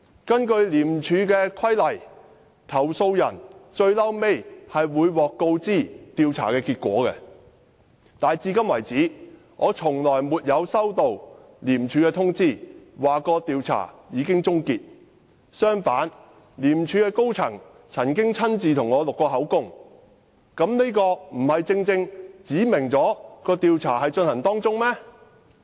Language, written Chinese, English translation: Cantonese, 根據《廉政公署條例》，投訴人最終會獲告知調查結果，但我至今沒有收到廉署通知，表示調查已經結束，相反，廉署高層曾經親自替我錄口供，這豈不表示調查正在進行嗎？, According to the Independent Commission Against Corruption Ordinance the complainant will eventually be informed of the result of investigation but so far I have not been informed by ICAC that the investigation has been completed . On the contrary an ICAC senior officer had taken my statements in person; did that mean that an investigation is in progress?